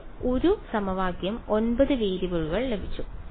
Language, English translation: Malayalam, I have got 1 equation 9 variables